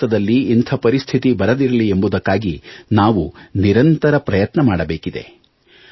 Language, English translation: Kannada, In order to ensure that India does not have to face such a situation, we have to keep trying ceaselessly